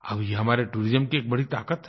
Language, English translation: Hindi, This is the power of our tourism